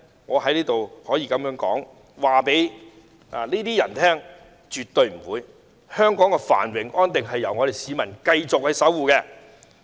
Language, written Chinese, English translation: Cantonese, 我在此可以告訴這些人：便是絕對不會的。香港的繁榮安定由我們市民繼續守護。, Here I can tell these people certainly no we will continue to defend the prosperity and stability of Hong Kong